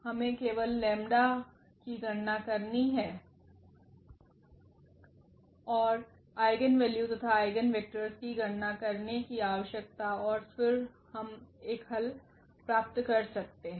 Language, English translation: Hindi, We need to just compute the lambdas and the eigenvalues eigenvectors and then we can find a solution